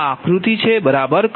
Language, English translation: Gujarati, so this is the diagram